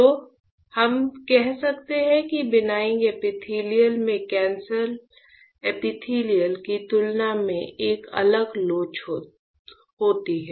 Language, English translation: Hindi, So, we can say that benign epithelial has a different elasticity compared to the cancer epithelial